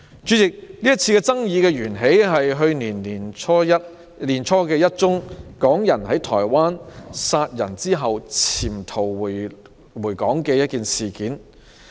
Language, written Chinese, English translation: Cantonese, 主席，這次爭議源於去年年初發生的港人在台灣殺人後潛逃回港的事件。, President the controversies stemmed from the incident early last year where a person from Hong Kong fled back to Hong Kong after murdering someone in Taiwan